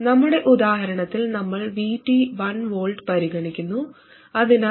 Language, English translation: Malayalam, In our examples, we have been considering VT of 1 volt, so VG minus 1 volt